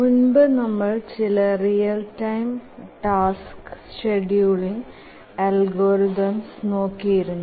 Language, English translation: Malayalam, If you recollect over the last few lectures, we were looking at some real time task scheduling algorithms